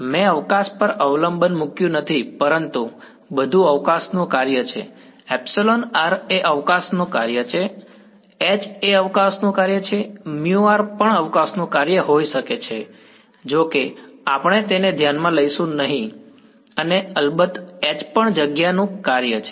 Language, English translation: Gujarati, I have not put the dependence on space, but everything is a function of space, epsilon r is a function of space, h is a function of space, mu r could also be a function of space although we will not consider it and h is of course, the function of space